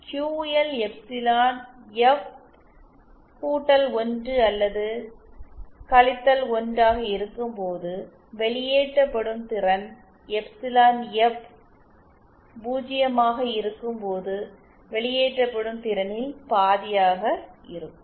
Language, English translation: Tamil, That is when QL epsilon F is either +1 or 1, the power dissipated will be half that when Epsilon F is 0